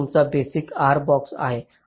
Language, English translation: Marathi, this is your basic r box